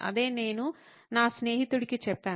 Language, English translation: Telugu, That’s what I told my friend